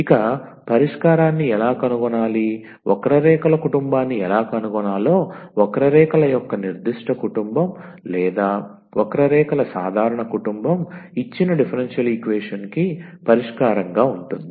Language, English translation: Telugu, So, how to the find the solution; how to find the family of curves whether a particular family of curves or the general family of curves, of that will be as a solution of the given differential equation